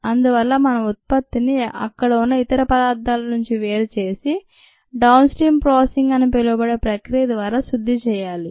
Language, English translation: Telugu, therefore, we need to separate and purify the product from these other things that are there, and that is what is done through what is called downstream processing